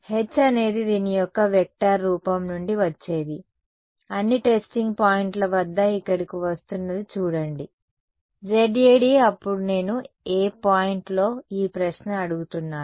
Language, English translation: Telugu, h is whatever is coming from the vector form of this guy is what is coming over here at all the testing point see, Z A, d then becomes at which point am I asking this question